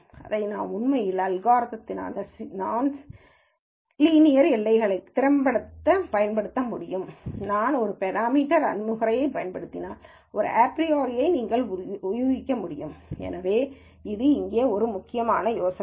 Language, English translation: Tamil, So, I can actually effectively use this algorithm for complicated non linear boundaries, which you would have to guess a priori if we were using a parametric approach, so that is a key idea here